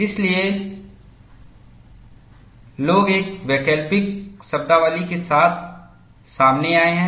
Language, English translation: Hindi, So, people have come out with another alternate terminology